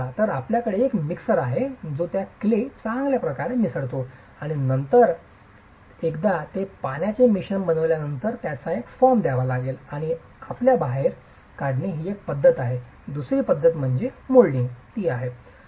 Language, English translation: Marathi, So you have a mixer which mixes these clay as well and then once it is made into a mixture with water you then have to give a form to it and extrusion is one method